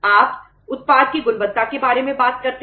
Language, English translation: Hindi, You talk about the quality of the product